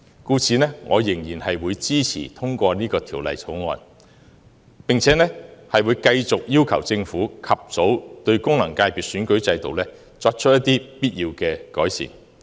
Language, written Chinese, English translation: Cantonese, 故此，我仍然支持通過《條例草案》，並會繼續要求政府及早對功能界別選舉制度作出必要的改善。, Thus I will still support the passage of the Bill and will continue to ask the Government to make necessary improvements to the electoral system of FCs